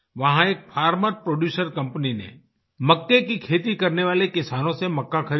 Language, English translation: Hindi, There, one farmer producer company procured corn from the corn producing harvesters